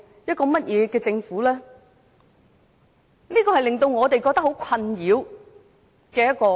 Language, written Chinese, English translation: Cantonese, 這樣的中國情景令我們覺得很困擾。, We are greatly perplexed by the situation in China